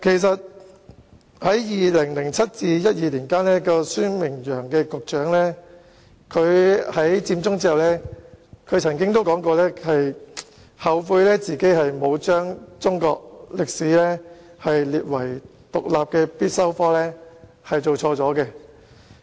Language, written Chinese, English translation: Cantonese, 在2007年至2012年間擔任教育局局長的孫明揚於"佔中"後曾表示，他後悔沒有將中史列為獨立的必修科，並承認他做錯了。, Michael SUEN who was the Secretary for Education from 2007 to 2012 once said after Occupy Central that he regretted not making Chinese History an independent and compulsory subject and he admitted that he was wrong